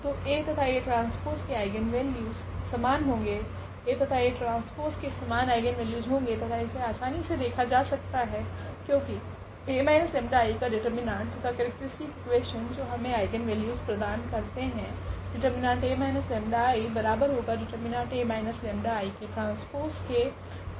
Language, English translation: Hindi, So, A and A transpose have the same eigenvalues, A and A transpose have same eigenvalues and which we can again easily see because the determinant of a minus lambda I that is the characteristic equation which actually gives the eigenvalues